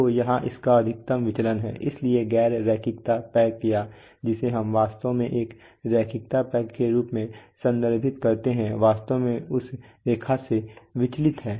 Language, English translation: Hindi, So here it has the maximum deviation, so the non linearity pack or which is we actually refer to as a linearity pack is actually deviation from that line right